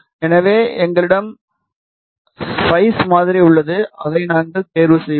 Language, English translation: Tamil, So, we have the spice model available with us we will choose that